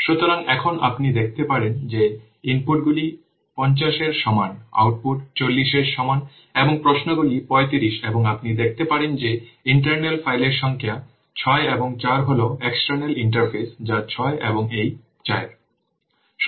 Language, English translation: Bengali, You can see that the inputs is equal to 50, outputs is equal to 40 and queries is 35 and internal files you can see that number of internal files is 6 and 4 is the external interfaces that